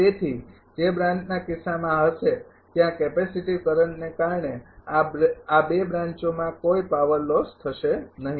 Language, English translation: Gujarati, Therefore, in the branch case that will be this there will be no power loss in this two branch due to capacitive current